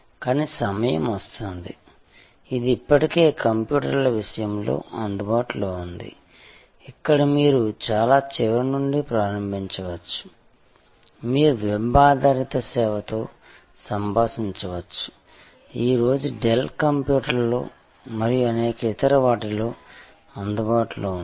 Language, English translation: Telugu, But, time will come, it is already there in computers, where you can start at the very end, you can interact with a web based service, available for in Dell computers and many other today